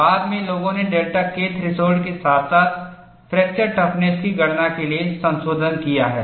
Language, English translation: Hindi, Later, people have modified to account for delta K threshold as well as fracture toughness